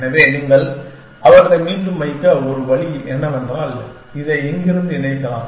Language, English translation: Tamil, So, one way you can put them back is, that you can connect this to this, from here